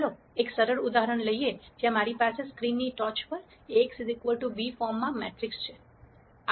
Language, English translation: Gujarati, Let us take a simple example where I have on the top of the screen, the matrix in the form A x equal to b